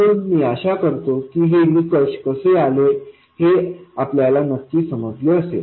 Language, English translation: Marathi, So, I hope you understand exactly how these criteria are arrived at